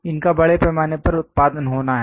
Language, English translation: Hindi, This have to be mass production to be done